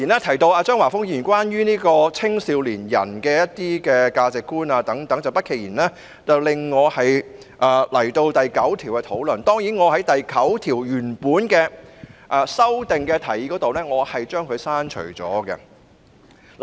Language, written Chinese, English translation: Cantonese, 不過，張華峰議員提到青少年的價值觀等問題，不期然令我要討論《國歌條例草案》第9條——我原本提出修正案以刪除第9條。, However as Mr Christopher CHEUNG mentioned issues such as young peoples values I cannot help but want to discuss clause 9 of the National Anthem Bill the Bill―I originally proposed an amendment to delete clause 9